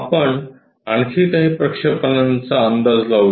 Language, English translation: Marathi, Let us guess few more projections